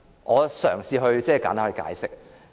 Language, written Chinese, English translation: Cantonese, 我嘗試簡單解釋。, I will try to provide a simple explanation